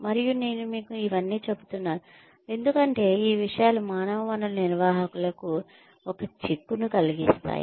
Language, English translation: Telugu, And, I am telling you all this, because these things, have an implication for a human resources managers